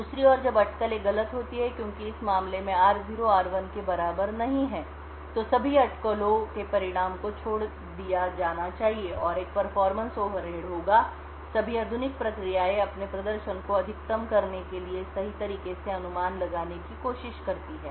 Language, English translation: Hindi, On the other hand when the speculation is wrong as in this case r0 not equal to r1 then all the speculated result should be discarded and there would be a performance overhead, all modern processes try to speculate correctly in order to maximize their performance